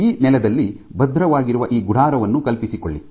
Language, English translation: Kannada, So imagine this tent which is firmly secured in this ground